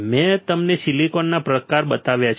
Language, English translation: Gujarati, I have shown you types of silicon